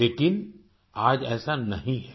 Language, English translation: Hindi, But today it is not so